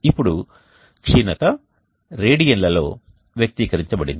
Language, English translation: Telugu, /180 the declination is now expressed in radians